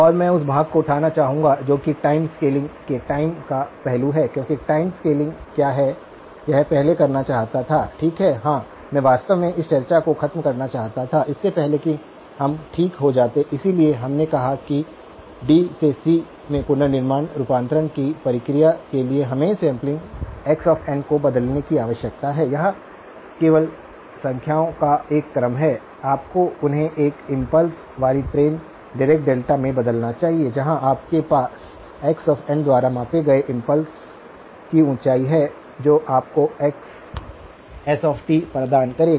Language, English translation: Hindi, And I would like to pick up on that a part that is the aspect of time scaling because time scaling; did I want to do this first, okay yeah I actually wanted to finish this discussion before we went to that okay, so we said that the process of reconstruction conversion from D to C requires us to convert the samples x of n; x of n are just a sequence of numbers, you must convert them into an impulse train Dirac delta 's where you have the height of the impulse scaled by the x of n that would give you xs of t